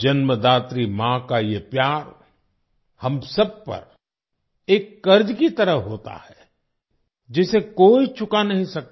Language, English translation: Hindi, This love of the mother who has given birth is like a debt on all of us, which no one can repay